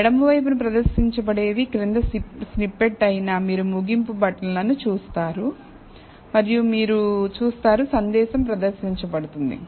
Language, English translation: Telugu, What will be displayed is the following snippet on the left, you will see a finish button and you will see a message being displayed